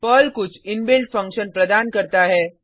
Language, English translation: Hindi, Perl provides certain inbuilt functions